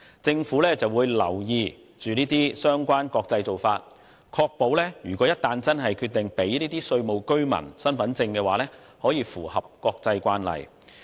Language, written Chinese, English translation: Cantonese, 政府會留意國際間的相關做法，以確保一旦要給予有關公司稅務居民身份證明書時可符合國際慣例。, The Government will monitor relevant international practice to ensure that the issue of certificates of residence status to OFCs conforms to international standards